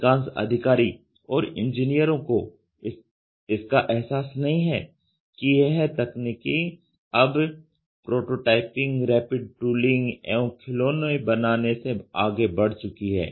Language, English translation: Hindi, Main most executives and many engineers do not realize it, but this technology has moved well beyond prototyping, rapid tooling and toys